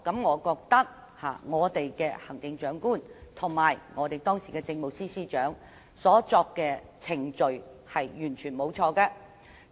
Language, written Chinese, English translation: Cantonese, 我覺得行政長官及時任政務司司長所跟隨的程序完全沒有錯。, I do not see any problems with the procedure adopted by the Chief Executive and the then Chief Secretary for Administration